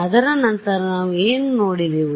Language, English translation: Kannada, After that what did we look at